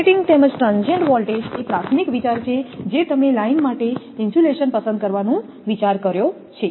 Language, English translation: Gujarati, Operating as well as transient voltages are the primary consideration both you have look in selecting the insulation for a line